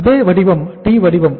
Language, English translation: Tamil, Same format, T format